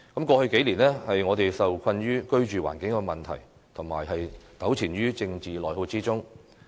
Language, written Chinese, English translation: Cantonese, 過去數年，我們受困於居住環境問題，糾纏在政治內耗之中。, Over the past few years we have been plagued by our living conditions and we have got entangled with internal political attrition